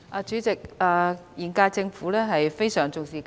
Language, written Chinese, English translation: Cantonese, 主席，現屆政府非常重視教育。, President the current - term Government has attached great importance to education